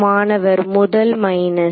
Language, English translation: Tamil, The first minus